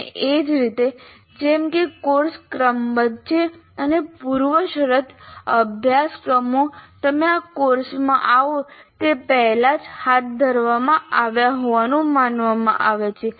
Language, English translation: Gujarati, And similarly, as courses are sequenced, the prerequisite courses are supposed to have been already conducted before you come to this course